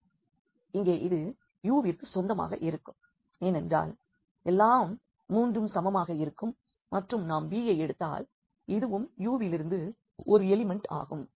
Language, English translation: Tamil, So, here this belongs to U because all three are equal and if we take b this is also an element from this U